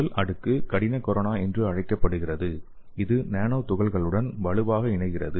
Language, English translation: Tamil, The first layer is called as hard corona which strongly attach to the nanoparticles